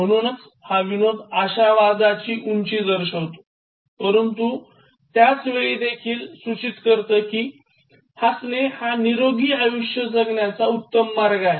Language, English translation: Marathi, So, this, like the joke indicates height of optimism, but at the same time it indicates that like laughter is the best way to live a very healthy life